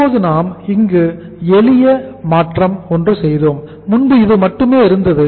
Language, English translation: Tamil, Now simple change we have made here is earlier this was only there